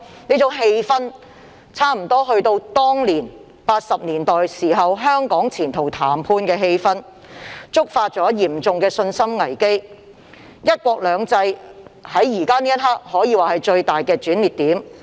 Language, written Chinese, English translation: Cantonese, 這種氣氛差不多有如1980年代香港前途談判的氣氛，觸發嚴重的信心危機，"一國兩制"在現時這刻可說是最大的轉捩點。, The current atmosphere resembles that of the serious crisis of confidence in the 1980s triggered by the negotiations held on Hong Kongs future . It is now the biggest turning point for one country two systems